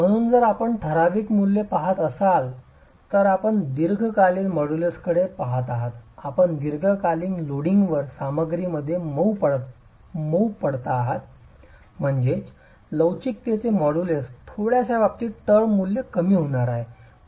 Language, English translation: Marathi, So, if you were to look at typical values, you're looking at the long term modulus, you get softening in the material over long term loading which means the modulus of elasticity is going to be is going to drop with respect to the short term value